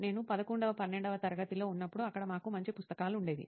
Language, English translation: Telugu, When I am in the class 11th 12th, we had a good set of books there